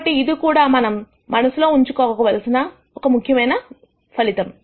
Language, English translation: Telugu, So, this is also an important result that we should keep in mind